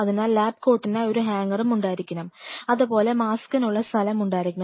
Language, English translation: Malayalam, So, you have to have a hanger and everything for the lab coat or the lab gowns then you have to have the place for the mask